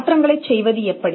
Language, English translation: Tamil, How to make changes